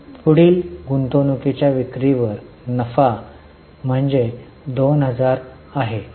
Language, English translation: Marathi, The next is profit on sale of investments which is 2000